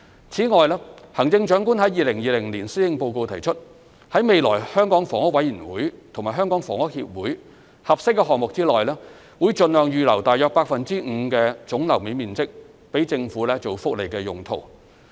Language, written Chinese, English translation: Cantonese, 此外，行政長官在2020年施政報告提出，在未來香港房屋委員會及香港房屋協會合適的項目內，盡量預留約 5% 總樓面面積予政府作福利用途。, Also the Chief Executive announced in the 2020 Policy Address that about 5 % of the gross floor area in suitable future projects of the Hong Kong Housing Authority and the Hong Kong Housing Society should be set aside as far as practicable for welfare purposes